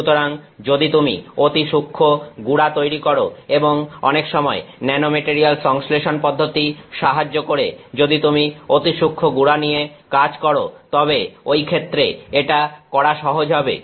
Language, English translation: Bengali, So, if you are making fine powders and many times the nanomaterial synthesis process will help will be easy to do, if you are working with fine powders